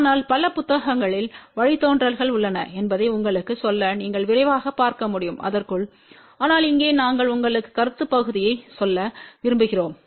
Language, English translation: Tamil, But just to tell you the derivations are there in many of the books you can have a quick look into that , but here we want to tell you the concept part